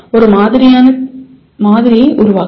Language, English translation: Tamil, Construct a model